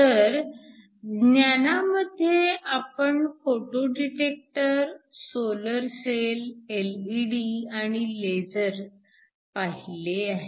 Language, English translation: Marathi, So, in the classes we looked at photo detectors, solar cells, LEDs and lasers